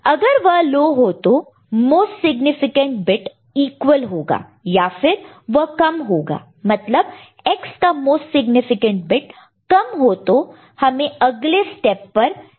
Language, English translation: Hindi, If it is not high low then if the most significant bit is equal; if it is less than the most significant bit of X is less than, then you do not, you know, need to go to next step